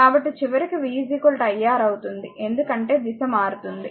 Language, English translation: Telugu, So, ultimately v will be is equal to iR because direction will change right